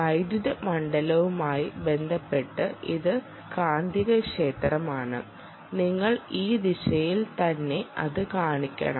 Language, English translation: Malayalam, now, with respect to the electric field, you must show it in this direction, right